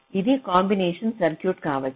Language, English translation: Telugu, this can be another combination, circuit